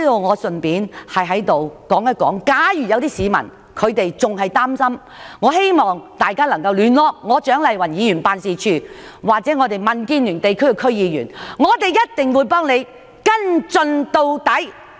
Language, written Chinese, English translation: Cantonese, 我在此順帶一提，假如有市民仍然感到擔憂，我希望他們聯絡蔣麗芸議員辦事處或民主建港協進聯盟的區議員，我們必定會幫他們跟進到底。, Here let me say in passing that if any members of the public still feel worried I hope they will contact the office of Dr CHIANG Lai - wan or DC members of the Democratic Alliance for the Betterment and Progress of Hong Kong . We will definitely help them follow up the matter to the end